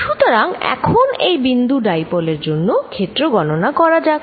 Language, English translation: Bengali, So, let us calculate the field due to this point dipole